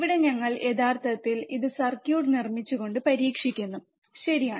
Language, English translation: Malayalam, Here we are actually testing it by making the circuit, right